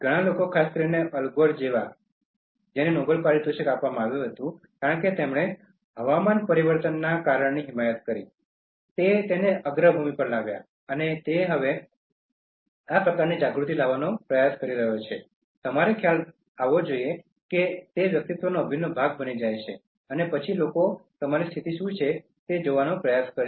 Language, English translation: Gujarati, So many people particularly, somebody like Al Gore, who was given the Nobel Prize, because he advocated the cause for climate change, he brought it to the foreground, and then he is even now trying to create this kind of awareness and you should realize that, that becomes an integral part of a personality and then people will try to see what is your position